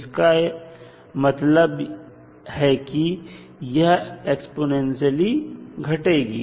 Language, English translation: Hindi, So, it will always be exponentially decaying